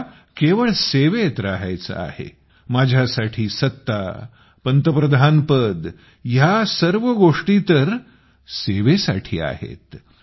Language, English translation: Marathi, I only want to be in service; for me this post, this Prime Ministership, all these things are not at all for power, brother, they are for service